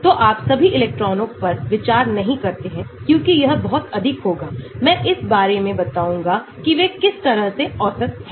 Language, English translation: Hindi, so you do not consider all the electrons because that will be too much I will tell about how they are sort of averaged of